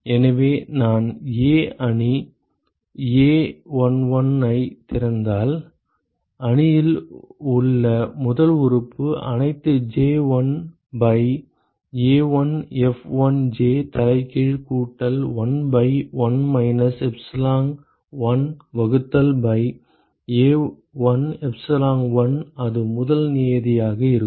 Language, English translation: Tamil, So, where if I open up the A matrix a11 the first element in the matrix will be sum over all j 1 by A1F1j inverse plus 1 by 1 minus epsilon1 divided by A1 epsilon1 so that will be the first term